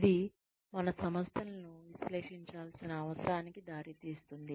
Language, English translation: Telugu, This in turn, leads to a need to analyze our organizations